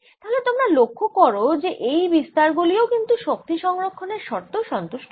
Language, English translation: Bengali, so you see that our amplitude are such that they also satisfy energy conservation